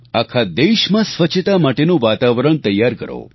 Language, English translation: Gujarati, Let's create an environment of cleanliness in the entire country